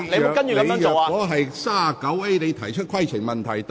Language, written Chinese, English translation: Cantonese, 我當時並未提出規程問題。, I have yet to raise a point of order at that time